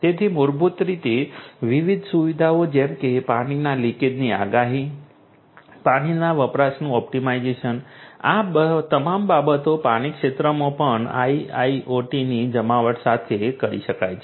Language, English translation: Gujarati, So, basically you know different different features such as prediction of water leakage, then optimization of water usage, all of these things could be done with the deployment of IIoT in the water sector as well